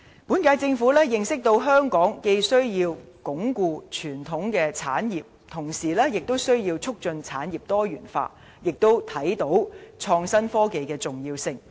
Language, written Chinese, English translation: Cantonese, 本屆政府認識到香港既要鞏固傳統產業，亦要促進產業多元化，並看到創新科技的重要性。, The present Government realizes that Hong Kong needs to both consolidate its traditional sectors and promote diversification of its industries . It also notices the importance of innovation and technology